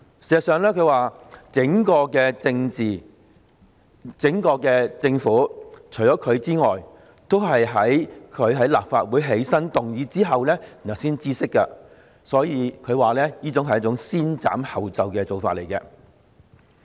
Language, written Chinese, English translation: Cantonese, 他還說，事實上，整個政府除了他之外，都是在他於立法會"起身"動議有關議案後才知悉，所以，他說這是先斬後奏的做法。, He also mentioned that except him the entire Government learnt about the motion only after he had risen to move it at the Council . Thus he would describe this approach as act first and report later